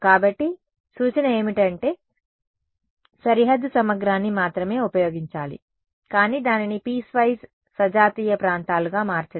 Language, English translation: Telugu, So, the suggestion is to use boundary integral only, but to make it into piecewise homogeneous regions